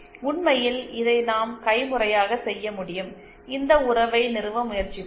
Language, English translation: Tamil, In fact we can do this manually, let us try to establish this relationship